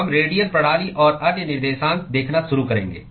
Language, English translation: Hindi, We will start looking at radial systems and other coordinates